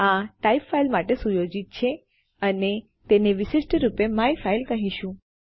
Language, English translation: Gujarati, This type is set to file and well call it myfile to be specific